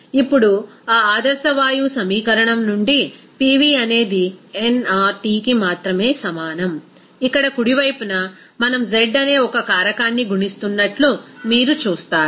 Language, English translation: Telugu, Now, from that ideal gas equation that is PV is equal to only nRT, here on the right hand side you will see that we are just multiplying one factor that is z